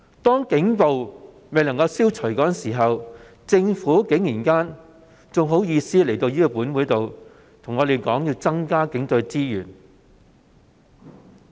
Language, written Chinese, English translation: Cantonese, 當警暴未能消除時，政府竟然還有顏臉要求立法會增加警隊資源。, Given that the Government has failed to eliminate Police brutality how come it still has the brass neck to ask the Council for an increase in resources for the Police Force?